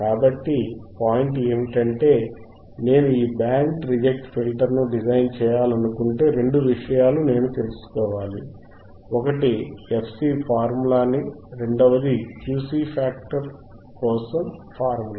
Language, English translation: Telugu, So, point is that, if I want to design this band reject filter, I should know two things, one is a formula for fC, second is formula for Q